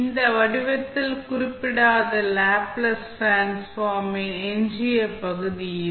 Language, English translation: Tamil, So, this is the reminder of the, the Laplace Transform, which is not represented in this particular form